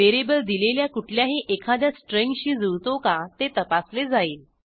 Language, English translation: Marathi, It will check if any one of these strings matches VARIABLE